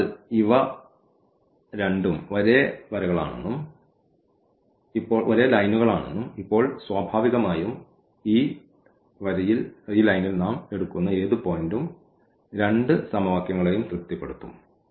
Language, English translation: Malayalam, So, they say these two are the same lines and now naturally any point we take on this line I mean they are the same line